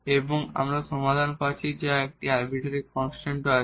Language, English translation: Bengali, And we are getting the solution which is also having one arbitrary constant